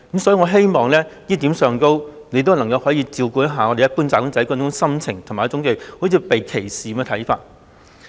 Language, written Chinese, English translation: Cantonese, "所以，在這一點上，我希望局長能照顧一般"打工仔"這種心情，以及他們猶如被歧視的看法。, Hence on this point I hope that the Secretary will take into account the sentiment of the general wage earners and their view of being discriminated against